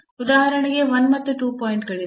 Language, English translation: Kannada, So, there are the points for example, 1 and 2